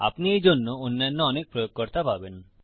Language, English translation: Bengali, You will find many other users for it